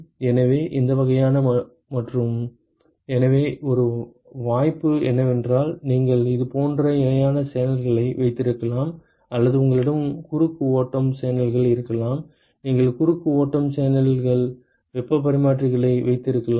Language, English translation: Tamil, So, these kind of and; so one possibility is you can have parallel channels like this or you can also have you have a cross flow channel: you can have cross flow channel heat exchangers